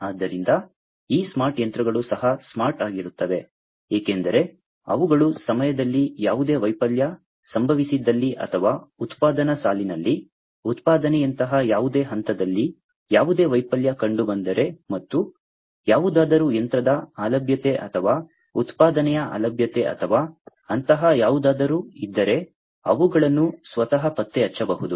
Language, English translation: Kannada, So, these smart machines are also smart because they can detect by themselves, if there is any failure at point of time, or in the production line, if there is any failure in any point in the production like line and also if there is any, machine downtime or, production downtime or anything like that